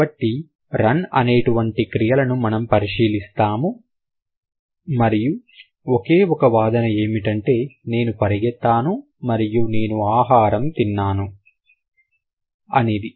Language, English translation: Telugu, So, let's consider a verb like run and it's the single argument that it has is I ran versus I ate food